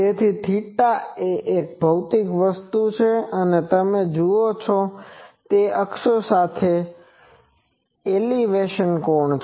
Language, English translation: Gujarati, So, theta, theta is a physical thing, it is the elevation angle that means, with the axis you see